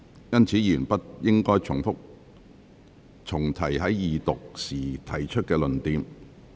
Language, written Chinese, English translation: Cantonese, 因此，委員不應重提在二讀辯論時曾提出的論點。, Therefore Members should not repeat the arguments they made during the Second Reading debate